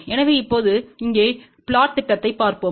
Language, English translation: Tamil, So, let us see the plot over here now